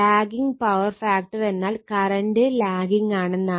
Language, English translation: Malayalam, So, , lagging power factor it is lagging means current is lagging